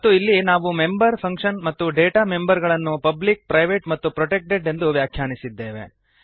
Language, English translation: Kannada, And here we have defined the Data members and the member functions as public, private and protected